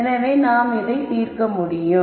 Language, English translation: Tamil, Now, let us see how we solve this problem